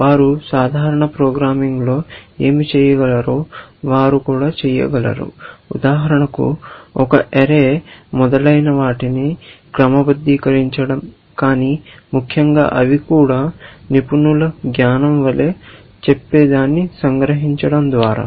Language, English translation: Telugu, They can do what you would do in normal programming, for example, sort an array, and things like that, but they are also, by instrumental, in capturing what we would say as expert knowledge, essentially